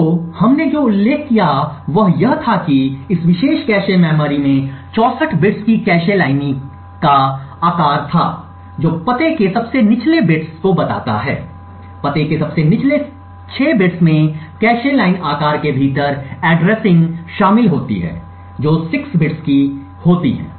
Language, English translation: Hindi, So what we did mention was that this particular cache memory had a cache line size of 64 bits which would indicate that the lowest bits of the address, the lowest 6 bits of the address comprises addressing within the cache line size which is of 6 bits